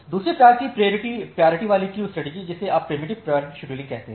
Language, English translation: Hindi, The second type of priority queuing strategy you call is the preemptive priority scheduling